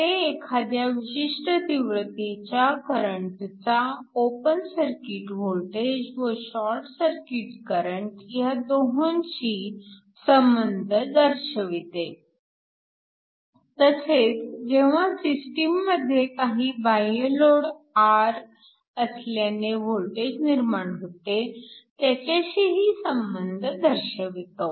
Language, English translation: Marathi, So, this is a general expression that relates the current at a particular intensity to both the open circuit current, the short circuit current and also the voltage when you have some external load R sitting on the system